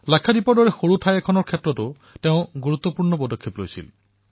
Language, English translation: Assamese, He played a far more significant role, when it came to a small region such as Lakshadweep too